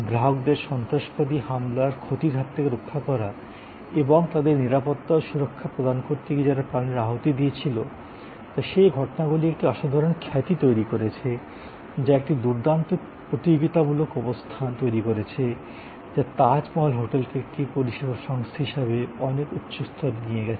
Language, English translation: Bengali, Protected the clients from harm the terrorist attack and what the died in providing safety and security to their customers has created those serious of incidences that whole record that has created a tremendous reputation, that has created a tremendous competitive position that has catapulted Tajmahal hotel to merge higher level as it service organization